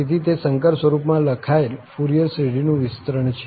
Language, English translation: Gujarati, So, that is the Fourier series expansion written in complex form